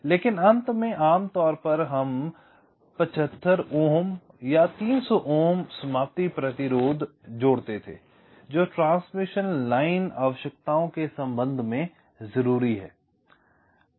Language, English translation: Hindi, so at the end there was typically a seventy five ohm or three hundred ohm termination resistance which was connected